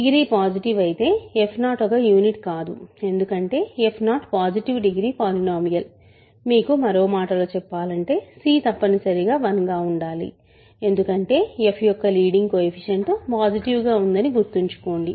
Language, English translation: Telugu, But if degree is positive, f 0 is not a unit because f 0 is a positive degree polynomial, you know in other words c must be 1 because remember leading coefficient of f is positive